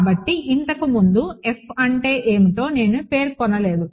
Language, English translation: Telugu, So, I did not specify what F was earlier